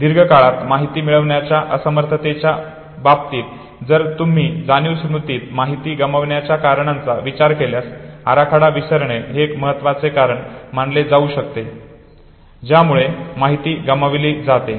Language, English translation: Marathi, In terms of inability to recall information from long term if you consider no reasons for information loss in sensory memory decay of trace has been considered as important reason why information is lost